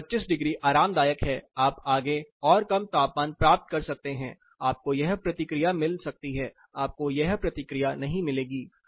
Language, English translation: Hindi, So, 25 is comfortable you may get further lower temperatures, you may get this response you may not get this response